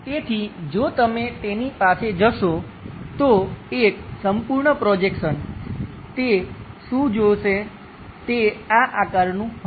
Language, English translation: Gujarati, So, if you are going to have it, the complete one, projection what he is going to see that will be of this shape